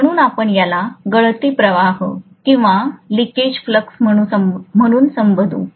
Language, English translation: Marathi, So we will call this as the leakage flux